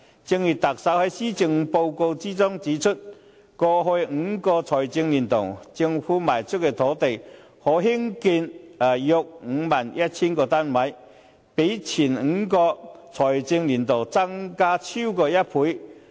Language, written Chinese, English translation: Cantonese, 正如特首在施政報告中指出，過去5個財政年度，政府賣出的土地可供興建約 51,000 個單位，比前5個財政年度增加超過1倍。, As pointed out by the Chief Executive in the Policy Address land put up for sale by the Government in the past five financial years has a capacity to produce about 51 100 units more than double that of the previous five financial years